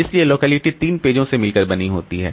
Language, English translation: Hindi, So, call locality consists of these three pages